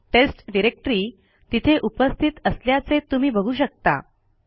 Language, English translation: Marathi, As you can see the test directory exists